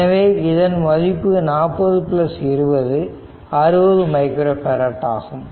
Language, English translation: Tamil, So, their equivalent is 40 plus 20 right is equal to 60 micro farad